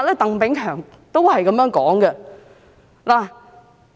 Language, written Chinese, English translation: Cantonese, 鄧炳強也有相同的說法。, Chris TANG had made similar remarks